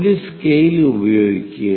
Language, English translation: Malayalam, Use a scale